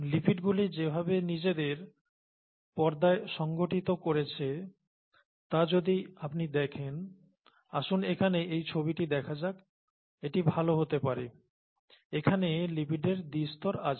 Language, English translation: Bengali, The, if you look at the way the lipids have organised themselves in the membrane there are, let’s go here it might be a better picture; there are lipid bilayers